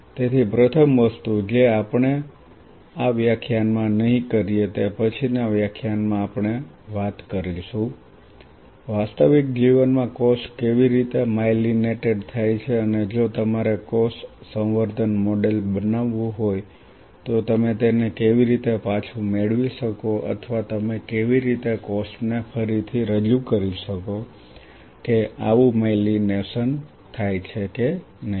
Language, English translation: Gujarati, So, the first thing what we will be doing not in this class in the next class we will talk about how in real life a cell gets myelinated and how if you have to create a cell culture model how you can regain it or how you can reintroduce the cell to see whether such myelination happens or not